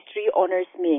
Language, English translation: Hindi, History Honours at St